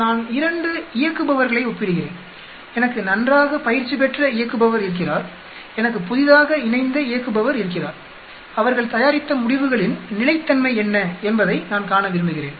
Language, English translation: Tamil, I am comparing 2 operators for example, I have a very well trained operator and I have a newly joined operator, I want to see what is the consistency of the results they produced